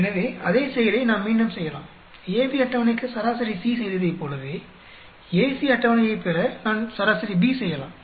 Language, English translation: Tamil, So, same thing we can do, just like averaged out C to get a table for AB, I can average out B to get a table for AC